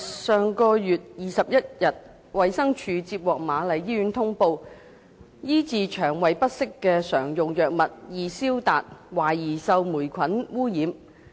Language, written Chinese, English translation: Cantonese, 上月21日，衞生署接獲瑪麗醫院通報，醫治腸胃不適的常用藥物"易消達"，懷疑受霉菌污染。, On the 21 of last month the Department of Health DH received a report from the Queen Mary Hospital that Enzyplex a commonly used drug for treatment of digestive disorders was suspected of having been contaminated by mould